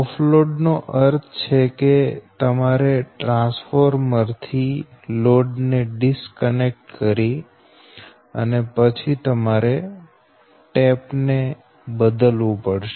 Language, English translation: Gujarati, off load means you have to disconnect the load from the transformer, then you have to change the tap